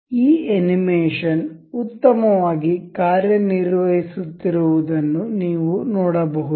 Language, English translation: Kannada, You can see this animation running well and fine